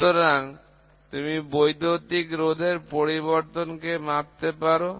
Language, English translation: Bengali, So, if you can measure the change in electrical resistance